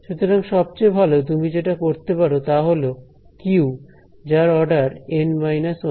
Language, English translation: Bengali, So, the best that you could do is q can at base the order N minus 1 right